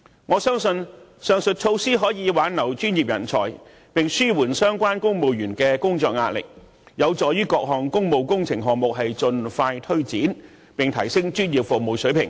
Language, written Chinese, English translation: Cantonese, 我相信，上述措施可以幫助挽留專業人才，並紓緩相關公務員的工作壓力，有助於各項工務工程項目盡快推展，提升專業服務水平。, I believe that the above measures can help retain talents mitigate the work pressure of the civil servants concerned facilitate the expeditious implementation of various public works projects and enhance the performance of professional services